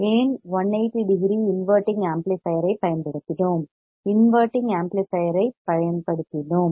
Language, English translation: Tamil, Why 180 degree because we have used inverting amplifier right, we have used inverting amplifier